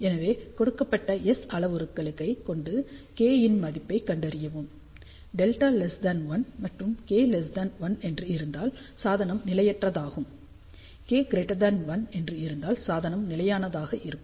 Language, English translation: Tamil, So, for given values of S parameter find the value of K; if delta is less than 1 and K is less than 1 that means device is unstable, if K is greater than 1 then the device will be stable